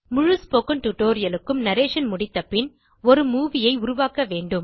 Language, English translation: Tamil, Once the narration for the entire spoken tutorial is complete, you should create a movie